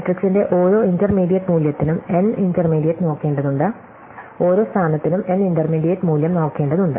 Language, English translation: Malayalam, So, each intermediate value of the matrix could require looking at n intermediate, each value each position could require looking at n intermediate value